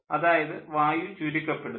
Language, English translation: Malayalam, so air is getting compressed